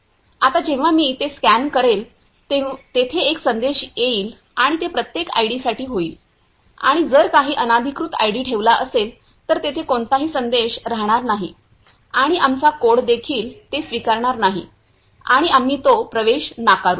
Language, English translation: Marathi, Now whenever I scan it, there will be a message and that will happen for every ID and if some unauthorized ID is placed, then there will be no message and even our code will not accept it and we will simply reject that entry